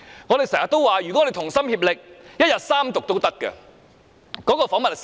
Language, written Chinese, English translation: Cantonese, 我們經常說，如果我們同心協力，一日三讀也無妨。, We always say that if we are united in a concerted effort the bill can be read the Third time in one day